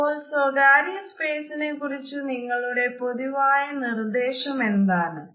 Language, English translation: Malayalam, So, what is your general recommendation when it comes to personal space